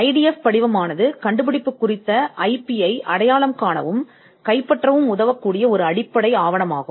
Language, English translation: Tamil, The IDF is a basic document for identifying and capturing the IP pertaining to an invention